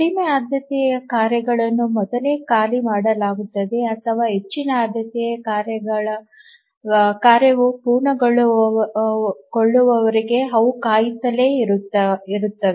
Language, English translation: Kannada, The lower priority tasks are preempted or they just keep on waiting until the higher priority task completes